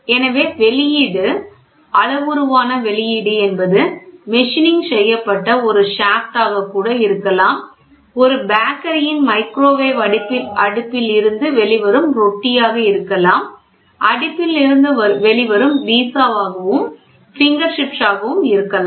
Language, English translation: Tamil, So, the output parameter, the output can be even a shaft which is machined the product which comes out of a bread which is coming out of a bakery microwave oven, pizza coming out of an oven, it can be there or a finger chips coming out